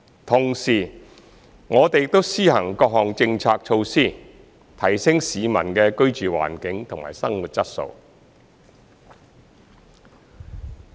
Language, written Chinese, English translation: Cantonese, 同時，我們亦施行各項政策措施，提升市民的居住環境和生活質素。, At the same time we have implemented various policy initiatives to enhance peoples living environment and quality of life